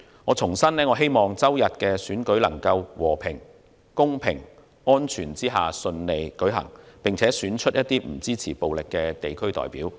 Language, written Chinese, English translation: Cantonese, 我重申希望星期日的選舉能夠在和平、公平、安全之下順利舉行，並選出不支持暴力的地區代表。, I would like to reiterate my hope that the election on Sunday can be held smoothly in a peaceful fair and safe manner and that district representatives who do not support violence will be elected